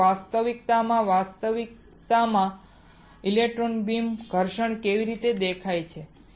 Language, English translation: Gujarati, So, in reality in reality how does an electron beam abrasion looks like